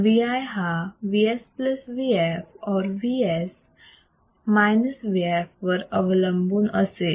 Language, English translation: Marathi, This Vi would depend on Vs + Vf or Vs Vf,